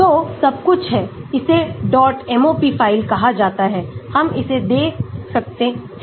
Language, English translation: Hindi, So, everything is there, this is called a dot MOP file, we can give that